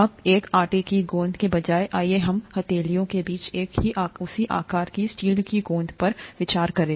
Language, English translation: Hindi, Now, instead of a dough ball, let us consider a steel ball of the same size between the palms